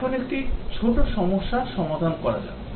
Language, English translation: Bengali, Now, let us do a small problem